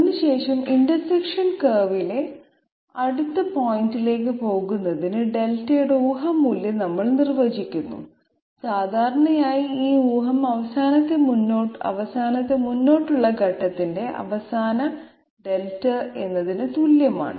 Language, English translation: Malayalam, So after that we define a guess value of Delta to go to the next point on the intersection curve and generally this guess equals the final Delta of the last forward step